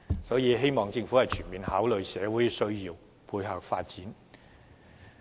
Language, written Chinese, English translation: Cantonese, 所以，我希望政府能全面考慮社會的需要而作出配合。, Hence I hope the Government will take into account societys needs on all fronts and launch complementary measures accordingly